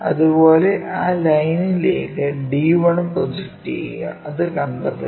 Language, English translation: Malayalam, Similarly, project d 1 onto that line locate it